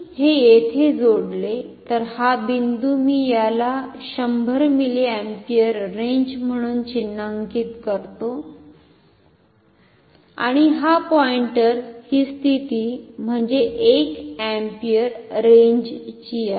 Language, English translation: Marathi, So, if I connect it here so, this is this point I mark it as 100 milliampere range and this point this position is for 1 ampere range so, this is a multi range ammeter ok